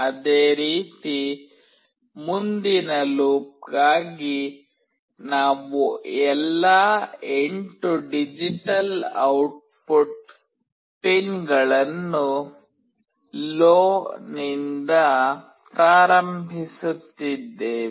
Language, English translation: Kannada, Similarly in the next for loop, we are initializing all the 8 digital output pins to LOW